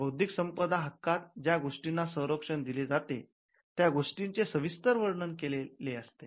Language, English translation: Marathi, Intellectual property rights are descriptive of the character of the things that it protects